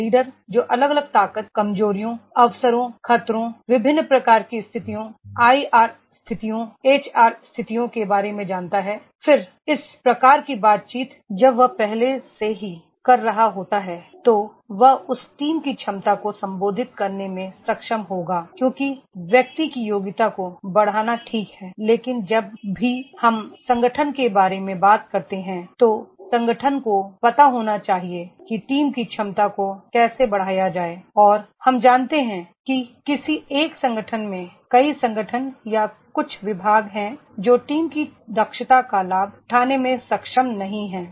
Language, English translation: Hindi, A leader who is aware of the different strength, weaknesses, opportunities, threats, different types of situations, IR situations, HR situations then all this type of interactions when he is already having then he will be able to address that team’s competency because enhancing the individual’s competency is fine but whenever we talk about the organization, Organization should know that is how to enhance the team competency